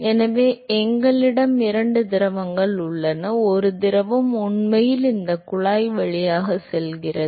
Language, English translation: Tamil, So, we have two fluids, fluid one is actually going through this tube